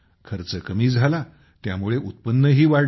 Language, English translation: Marathi, Since the expense has come down, the income also has increased